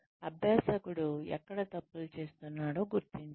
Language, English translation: Telugu, Identify, where the learner is making mistakes